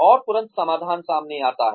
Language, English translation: Hindi, And immediately, the solution comes up